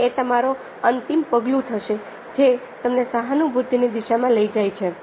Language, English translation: Gujarati, the ultimate step you can take the direction of empathy